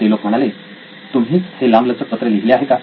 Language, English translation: Marathi, And they say well you wrote this long letter